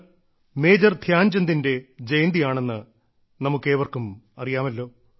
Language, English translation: Malayalam, All of us know that today is the birth anniversary of Major Dhyanchand ji